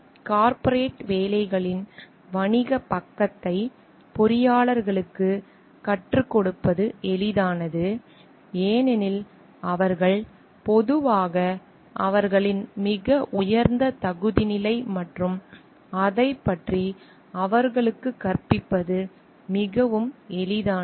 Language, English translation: Tamil, And it is easier to teach engineers the business side of corporate works, because of their generally it is taken their very high aptitude level and it is very easy to teach them about it